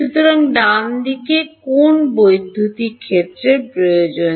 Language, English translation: Bengali, So, the right hand side requires what electric field at